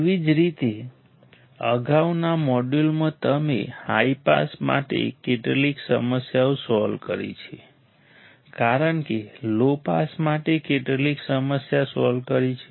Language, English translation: Gujarati, Similarly, in the previous module you have solved some problems for high pass we have solved some problem for low pass